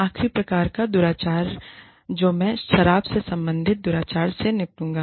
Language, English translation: Hindi, The last type of misconduct, that i will deal with is, alcohol related misconduct